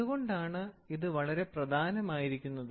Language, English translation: Malayalam, This why is it so important